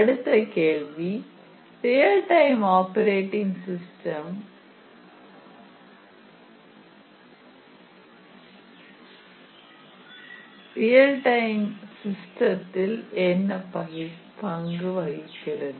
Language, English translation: Tamil, So, the next question is that what is the role of the real time operating system in these real time systems